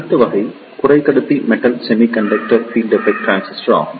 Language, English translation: Tamil, The next type of semiconductor is Metal Semiconductor Field Effect Transistor